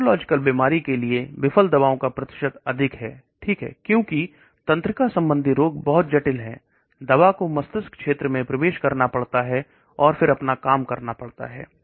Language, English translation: Hindi, And the percentage of drugs failed for neurological disease is higher okay, because neurological diseases are much complicated, the drug has to enter the brain region and then do its job